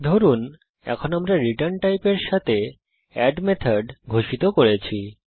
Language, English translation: Bengali, Suppose now we declare add method with return type